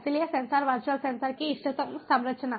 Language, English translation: Hindi, so optimal composition of virtual sensors